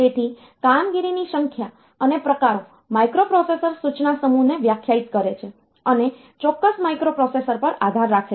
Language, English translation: Gujarati, So, the number and types of operations define the microprocessors instruction set and depends on the specific microprocessor